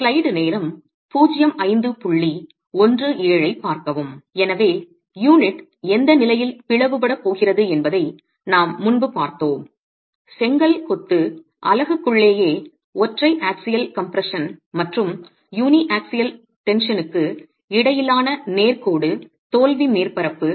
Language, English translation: Tamil, So, the condition under which the unit is going to split, we looked at this earlier, the straight line failure surface between uniaxial compression and uniaxial tension in the brick masonry unit itself